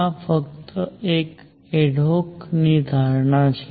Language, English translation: Gujarati, This is just an adhoc assumption